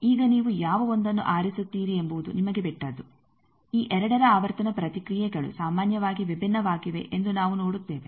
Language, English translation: Kannada, Now, it is up to you which 1 you choose we will see that the frequency responses of these 2 are generally different